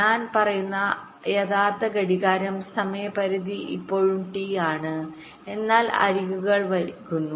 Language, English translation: Malayalam, what i am saying is that the time period is still t, but the edges are getting delayed